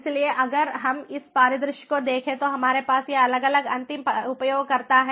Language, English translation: Hindi, so if we look at this scenario, we have this different end users